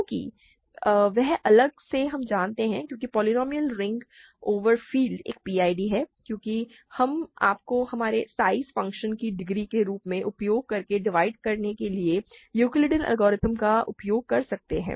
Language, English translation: Hindi, Because that separately we know because polynomial ring in one variable over a field is a PID because we can divide you use Euclidean algorithm to divide using the degree as our size function